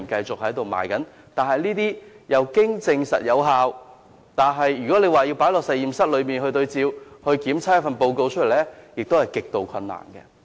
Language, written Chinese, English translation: Cantonese, 這些處方經證實有效，但若要在實驗室內進行對照，得出檢測報告，是極度困難的。, These prescriptions are proved to be effective . Yet it will be extremely difficult to do reference tests in laboratories and arrive at a test report